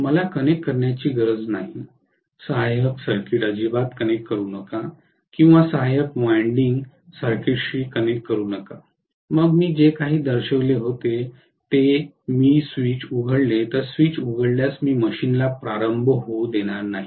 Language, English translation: Marathi, I need not connect, do not connect the auxiliary circuit at all or do not connect the auxiliary winding circuit, then automatically if I open the switch whatever I had shown, if the switch is open I am going to essentially not allow the machine to start